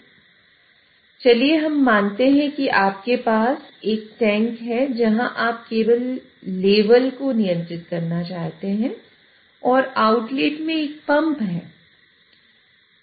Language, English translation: Hindi, So let us consider that you have a tank where you want to control the level and there is a pump at the outlet